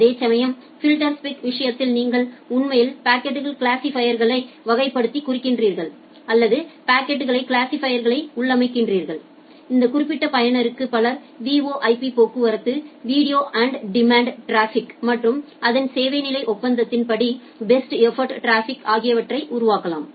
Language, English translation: Tamil, Whereas, in case of filterspec you are actually marking the packet classifier or you are configuring the packet classifier, to say that well this particular user, may generate VoIP traffic, video on demand traffic and the best effort traffic as per its service level agreement that the traffic classifier needs to take care of